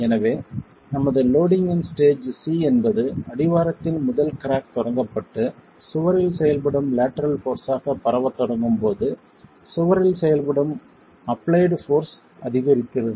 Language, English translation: Tamil, So, stage C of our loading was when the first crack at the base is initiated and starts propagating as the lateral force acting on the wall, applied force acting on the wall increases